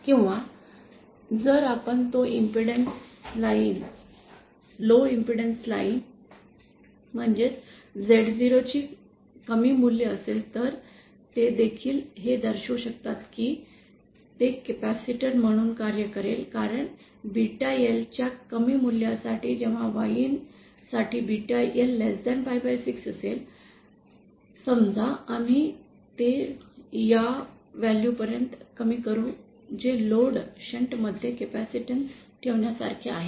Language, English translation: Marathi, the one that has low value of Z0, then also they can show that it will act as a capacitance because for low value of beta L that is when beta L is less than pie by 6 for Yin, say we reduce it to this value which is like having a capacitance in shunt with the load